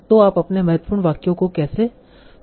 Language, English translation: Hindi, So how do you want to choose your important sentences